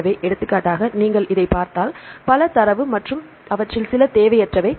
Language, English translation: Tamil, So, for example, if you see this, many data and from that some of them are redundant